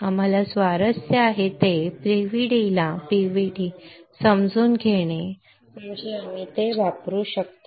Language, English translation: Marathi, What we are interested is to understand the PVD understand the PVD such that we can use it